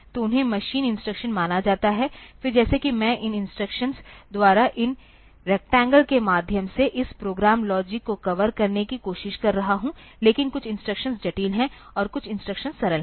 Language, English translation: Hindi, So, they are considered to be the machine instructions, then as if I am trying to cover this my program logic by means of these rectangles, by these instructions, but some of the instructions are complex and some of the instructions are simple